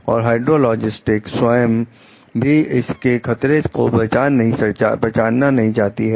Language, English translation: Hindi, The hydrologist will not even want to recognize the danger herself